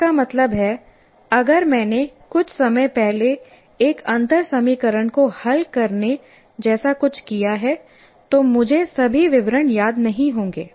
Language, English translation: Hindi, That means, if I have done something solved a differential equation quite some time ago, I may not remember all the details